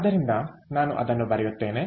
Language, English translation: Kannada, ok, so let me write it down